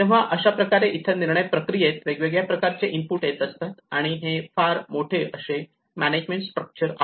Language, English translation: Marathi, So this is how there is a variety of inputs come into the decision process, and this is very huge management structure